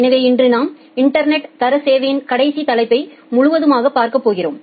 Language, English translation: Tamil, So, today we are going to cover the last topic of Internet Quality of Service